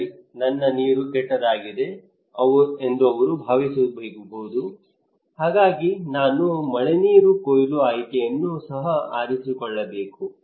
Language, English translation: Kannada, He may think that okay, my water is bad so I should also opt for rainwater harvesting